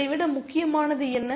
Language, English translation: Tamil, What is more important